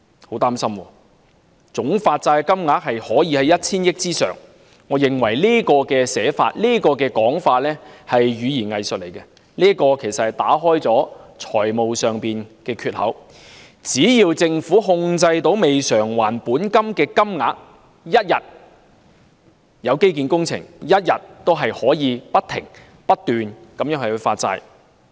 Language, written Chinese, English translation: Cantonese, 我很擔心，總發債金額可以超過 1,000 億元，我認為這種說法是語言"偽術"，其實是要打開財政儲備的缺口，只要政府控制未償還的本金額，一天有基建工程，一天也可以不停發債。, I am worried that the total sum of bonds issued may exceed 100 billion . I consider it equivocation which actually seeks to create an opening to the fiscal reserves . As long as the Government is in control of the sum of outstanding principal it can keep issuing bonds for any infrastructure project that comes along the way completely forgetting the fiscal discipline that it kept preaching in the past